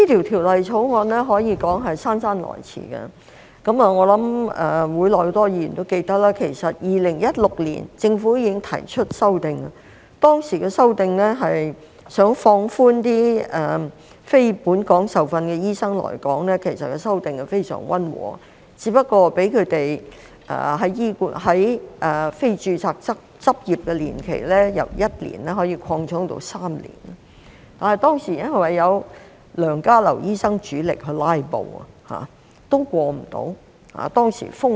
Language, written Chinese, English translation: Cantonese, 《條例草案》可說是姍姍來遲，我想會內很多議員也記得，其實政府2016年已經提出修訂，當時的修訂是想放寬讓非本港受訓的醫生來港，其實修訂非常溫和，只是讓他們的非註冊執業年期由1年擴充到3年，但當時因為有梁家騮醫生主力"拉布"，所以無法通過。, The Bill is long overdue . I think many Members in this Council also remember that the Government proposed an amendment in 2016 to relax the restrictions on the admission of non - locally trained doctors NLTDs to practise in Hong Kong . The amendment was in fact very mild only extending doctors term of non - registration from one year to three years